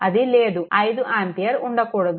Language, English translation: Telugu, It is not there; 5 ampere should not be there